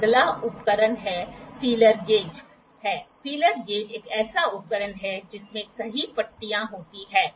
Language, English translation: Hindi, The next instrument is a feeler gauge; feeler gauge is a tool which has many strips in it